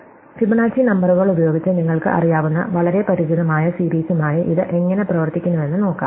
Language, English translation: Malayalam, So, let us see how this works with the very familiar series that you may know of called the Fibonacci numbers